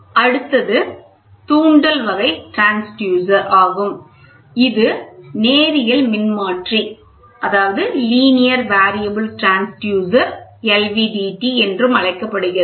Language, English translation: Tamil, So, the next one is inductive type transducer which is the other which is otherwise called as a linear variable transducer LVDT